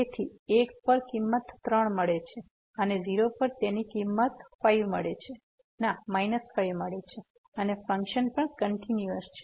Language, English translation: Gujarati, So, at 1 the value is 3 and the 0 the value is minus 5 and function is continuous